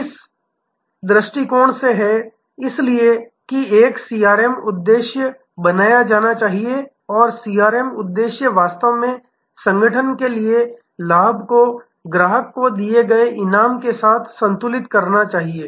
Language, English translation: Hindi, It is from this perspective therefore, a CRM objective should be created and CRM objective must actually balance the gain for the organization with the reward given to the customer